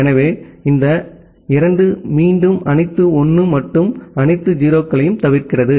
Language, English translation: Tamil, So, this 2 is again omitting all 1’s and all 0’s